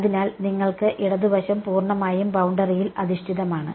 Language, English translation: Malayalam, So, you have the left hand side is purely over the boundary